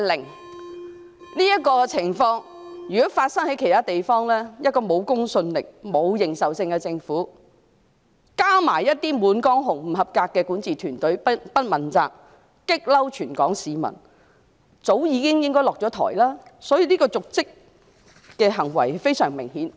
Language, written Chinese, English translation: Cantonese, 如果這種情況發生在其他地方，一個沒有公信力和認受性的政府，加上不及格的管治團隊，既不問責，又觸怒全港市民，理應早已下台，故此這方面的瀆職行為也是非常明顯的。, If this happens elsewhere a government without credibility and legitimacy coupled with an underperforming governing team should have stepped down long ago . In Hong Kong however they have not been held accountable and have antagonized all Hong Kong people . For this reason her dereliction of duty on this front is also most apparent